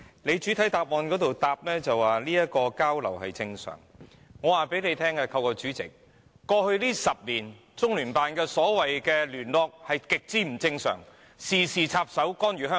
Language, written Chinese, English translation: Cantonese, 他在主體答覆表示交流是正常，但我現在透過主席告訴局長，在過去10年，中聯辦的所謂"聯絡"是極不正常的，事事插手，干預香港。, He points out in the main reply that exchanges are normal . However I now tell the Secretary through the President that the so - called liaison done by CPGLO over the last 10 years has been very abnormal as CPGLO has almost interfered in all the affairs of Hong Kong